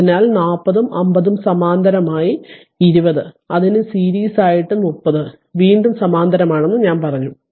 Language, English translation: Malayalam, So, I have just put directly that 40 and 50 are in parallel with that 20 is in series and along with that 30 ohm again in parallel